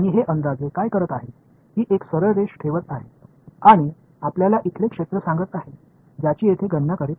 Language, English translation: Marathi, And, what this approximation is doing, it is putting a straight line like this and telling you the area over here right that is what is computing over here